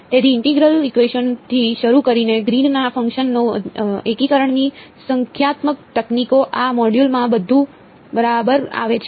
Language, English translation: Gujarati, So, starting with integral equations, Green’s functions numerical techniques of integration, everything comes together in this module alright